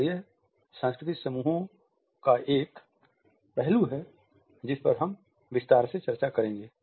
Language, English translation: Hindi, And it is this aspect of cultural associations which we will discuss in detail